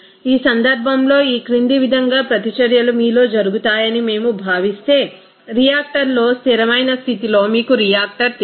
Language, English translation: Telugu, In this case, if we consider that reactions as follows take place in you know a continuous you know reactor at steady state condition in a reactor